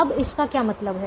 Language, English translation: Hindi, now, what does that mean